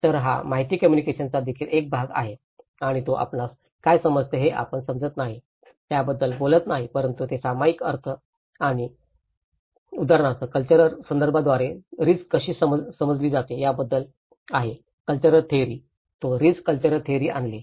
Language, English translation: Marathi, Then it is also about the information transmission, is the only one part of communication and it also talks about itís not about what you understand what you understand, but itís about the shared meaning and like for example how risk is perceived by different cultural contexts or cultural theories, he brought about the cultural theory of risk